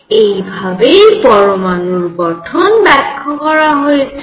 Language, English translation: Bengali, So, this is how the atomic structure was explained